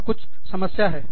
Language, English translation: Hindi, There is some problem